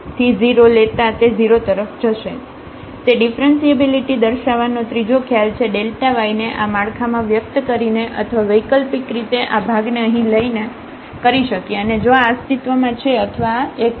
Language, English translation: Gujarati, So, that was another the third concept of showing the differentiability either by expressing this delta y in this format or alternatively taking this quotient here and limit if this exists or this one